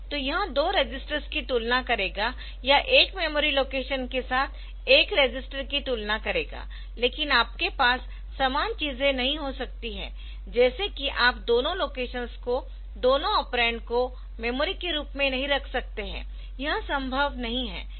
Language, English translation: Hindi, So, it will compare two registers or one register with a memory location ok, so but you cannot have the same thing that is you cannot have both the locations both the operands as memory, so that is not possible